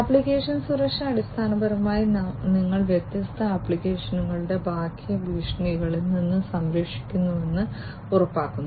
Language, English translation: Malayalam, Application security basically ensures that you are protecting the different applications from outsider threats